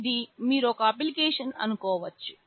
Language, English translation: Telugu, This is one application you think of